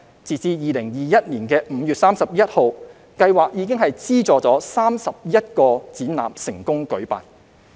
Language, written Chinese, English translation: Cantonese, 截至2021年5月31日，計劃已資助31個展覽成功舉辦。, As of 31 May 2021 the scheme has funded 31 exhibitions which were held successfully